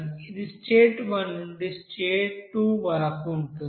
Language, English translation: Telugu, And that is state 1 to state 2